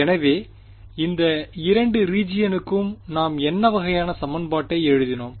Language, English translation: Tamil, So, what kind of equation did we write for these 2 regions there were the wave equation right